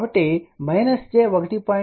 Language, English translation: Telugu, So, minus j 1